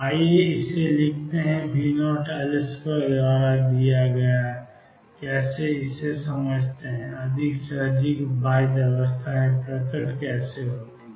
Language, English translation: Hindi, Let us write it given by V naught L square increases more and more bound states appear